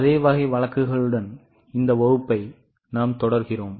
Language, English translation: Tamil, We will continue with the same type of case